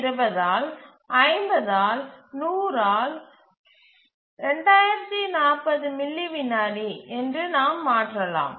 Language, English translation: Tamil, So, you can just substitute that in an expression, 1020 by 50 by 100 which is 2,040 milliseconds